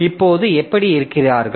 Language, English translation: Tamil, Now, how do they look like